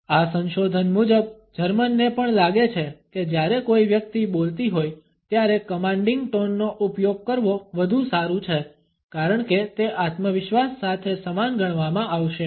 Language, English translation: Gujarati, Germans also feel according to this research that using a commanding tone is better while a person is speaking, because it would be equated with self confidence